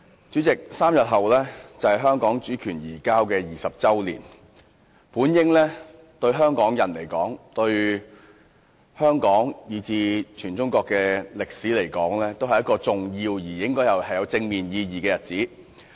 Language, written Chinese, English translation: Cantonese, 主席 ，3 天後便是香港主權移交20周年，這對香港人，以至對香港和全中國的歷史來說，本應是一個重要且具有正面意義的日子。, President in three days it will be the 20 anniversary of the handover of Hong Kongs sovereignty . It is supposed to be an important day with positive meaning for Hong Kong people as well as for the history of Hong Kong and that of China as a whole